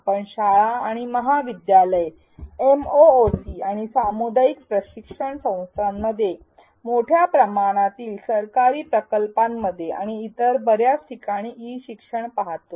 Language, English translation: Marathi, We see E learning in schools and colleges, in MOOCs and corporate training sessions, in large scale government projects and many other places